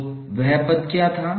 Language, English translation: Hindi, So what was the term